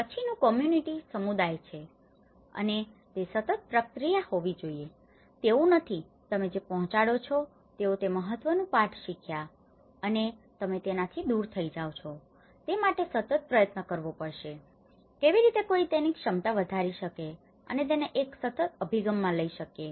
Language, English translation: Gujarati, And, the community and it has to be a continuous process, it is not that the important lesson they learnt is you deliver and you move away so, it has to be a continuous effort, how one can raise their capacities and take it in a continuous approach